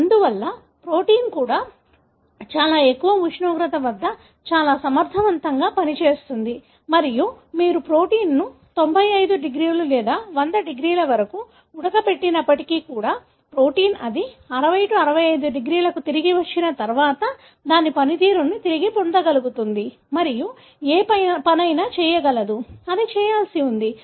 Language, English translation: Telugu, Therefore the protein also functions very efficiently at a very high temperature and even if you boil the protein to 95 degrees or 100 degrees, the protein, once it gets back to 60 65 degrees, it is able to regain its function and does whatever job it is supposed to do